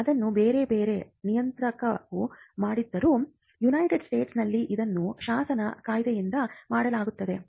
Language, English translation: Kannada, So, though it is done by different regulators, in the US it was done by a statute an Act